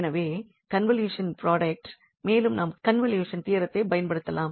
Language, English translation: Tamil, So, the convolution product and then we can apply the convolution theorem